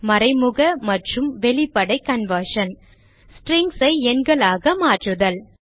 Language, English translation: Tamil, What is meant by implicit and explicit conversion and How to convert strings to numbers